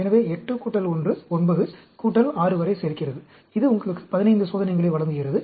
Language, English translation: Tamil, So, this adds up to 8 plus 1, 9, plus 6, that gives you 15 experiments